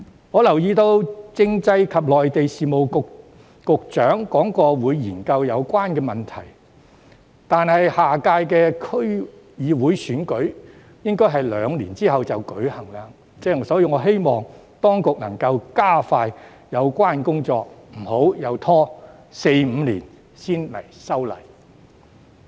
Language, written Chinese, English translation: Cantonese, 我留意到政制及內地事務局局長提到會研究有關問題，但下屆區議會選舉應會在兩年後舉行，所以我希望當局能夠加快有關工作，不要又拖四五年才修例。, As I am aware the Secretary for Constitutional and Mainland Affairs mentioned that he would look into the matter . However as the next DC election will be held two years later so I hope that the authorities can expedite the related work and not to delay the amendment exercise for another four or five years